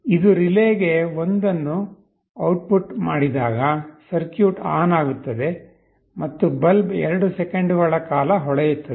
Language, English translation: Kannada, When it outputs 1 to relay, the circuit will be switched ON and the bulb will glow for 2 seconds